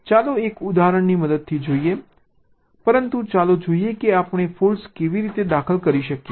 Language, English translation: Gujarati, lets see with the help of an example, but let us see how we insert faults